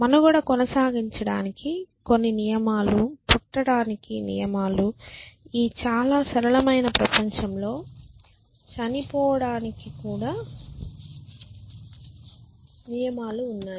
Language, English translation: Telugu, So, it has some rules for survival there are rules for surviving there are rules for being born even in this very simple world there rules for dying essentially